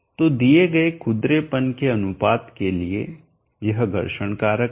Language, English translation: Hindi, So for given roughness ratio this is the friction factor